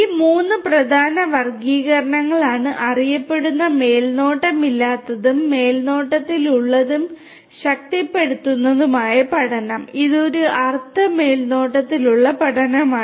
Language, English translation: Malayalam, These are the three main classifications that are very well known unsupervised, supervised and reinforcement learning which is kind of a semi supervised kind of learning, right